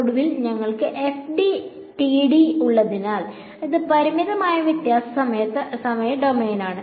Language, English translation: Malayalam, And finally we have FDTD so that is finite difference time domain